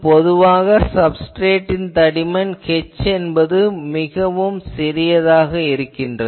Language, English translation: Tamil, Now, usually the substrate thickness h is very small